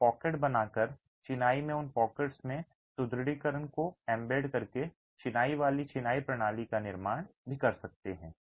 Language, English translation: Hindi, You could also construct confined masonry systems by creating pockets and embedding reinforcement in those pockets in the masonry